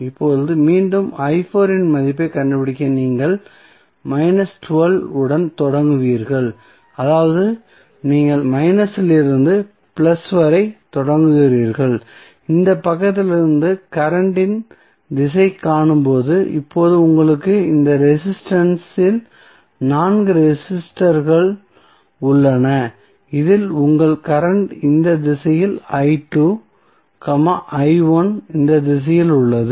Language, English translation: Tamil, Now, again to find out the value of i 4 you will start with minus 12 that is you are starting from minus to plus when the direction of current is seen from this side then you have now four resistances in this resistance your current is i 2 in this direction, i 1 is in this direction